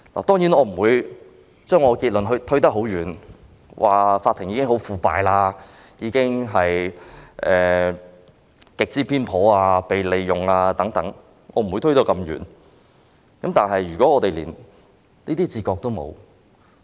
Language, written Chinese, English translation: Cantonese, 當然，我不會把結論推得很遠，說法庭已十分腐敗、極之偏頗、被利用等，我不會推到這麼遠，但如果我們連這種自覺也沒有......, Of course I will not draw a far - fetched conclusion saying that the Court is already very corrupt grossly biased being manipulated and so on . I will not go that far